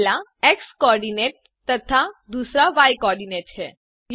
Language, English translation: Hindi, The first is x co ordinate and second is y co ordinate